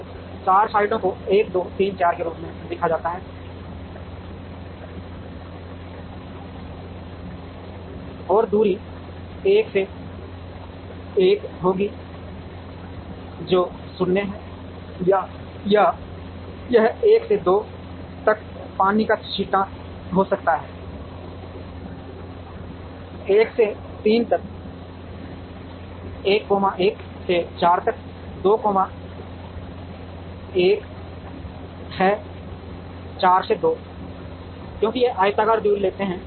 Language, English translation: Hindi, So, the 4 sites are written as 1 2 3 4, and the distance will be 1 to 1 the distance is 0 or it can be a dash 1 to 2 is 1, 1 to 3 is 1, 1 to 4 is 2, 1 to 4 is 2 because we take the rectangular distance